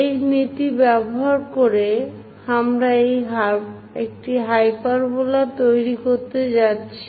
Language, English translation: Bengali, Using this principle, we are going to construct a hyperbola